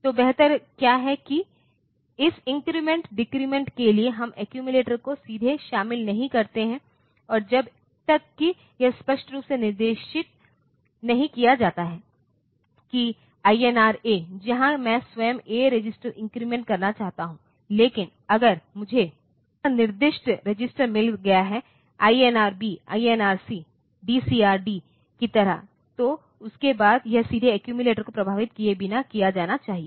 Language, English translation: Hindi, So, what is better is that for this increment decrement operation we do not involve the accumulator directly until and unless it is explicitly specified that INR A where I want to increment the a register itself, but I can if I have got this register specified directly like INR B INR C dcr D, like that then this should be done directly without affecting the accumulator